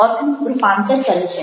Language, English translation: Gujarati, it is the meaning